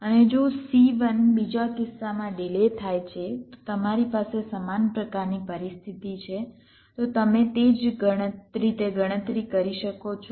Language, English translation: Gujarati, and if c one is delayed in the other case so you have a similar kind of situation you can similarly make a calculations, ok